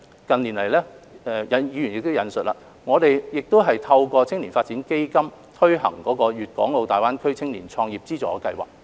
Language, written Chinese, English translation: Cantonese, 近年來，正如議員亦有引述，我們亦透過青年發展基金推行粵港澳大灣區青年創業資助計劃。, As mentioned by Members in the past few years we have also launched the Funding Scheme for Youth Entrepreneurship in the Guangdong - Hong Kong - Macao Greater Bay Area